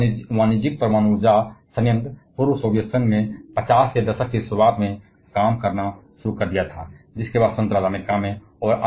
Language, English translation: Hindi, The first commercial nuclear power plant started working in early 50's in the former Soviet Union whom followed by United States